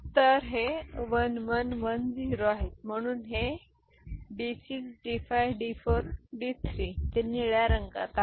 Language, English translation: Marathi, So, this is 1 1 1 0 so this is D6 D5 D4 and D3 that is in blue ok